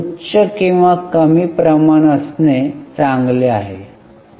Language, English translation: Marathi, Is it good to have higher or lower ratio